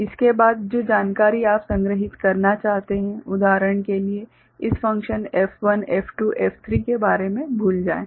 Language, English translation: Hindi, After tha,t the information that you want to store for example, forget about this functions F1, F2, F3